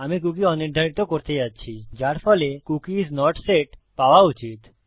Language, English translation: Bengali, Im going to unset the cookie which should get the result Cookie is not set